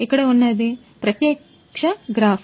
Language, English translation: Telugu, So, here is a live graph